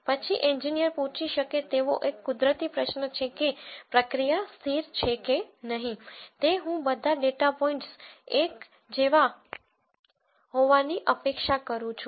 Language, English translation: Gujarati, Then a natural question an engineer might ask is if the process is stable I would expect all of the data points to be like